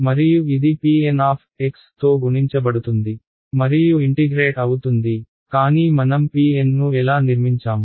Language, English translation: Telugu, And, what is happening is being multiplied by P N x and integrated, but how did we construct these P N's